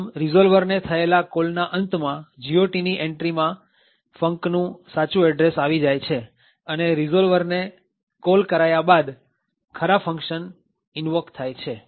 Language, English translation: Gujarati, Thus, at the end of the call to the resolver, the entry in the GOT contains the actual address of func, after the call to the resolver the actual functions get invoked